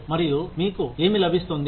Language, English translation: Telugu, What do you get